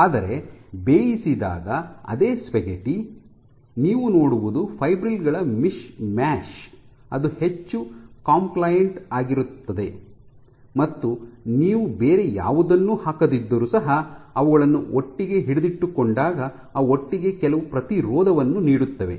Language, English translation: Kannada, But the same spaghetti when cooked then what you have is this mishmash of these fibrils which are much more compliant, and when they are held together even if you do not put anything else, just together they provide some resistance